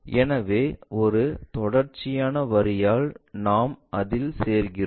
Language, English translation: Tamil, So, we join that by a continuous line